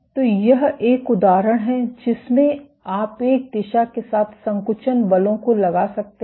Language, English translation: Hindi, So, this is an example in which you can exert contractile forces along one direction